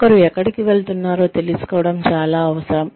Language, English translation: Telugu, It is very essential to know, where one is headed